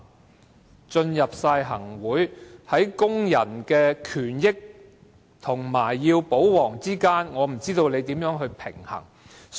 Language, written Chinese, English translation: Cantonese, 他們加入行政會議，在工人的權益和"保皇"之間，我不知道他們要如何平衡。, After joining the Executive Council they have been sandwiched between the labour rights and interests and the role as royalists . I wonder how a balance can be struck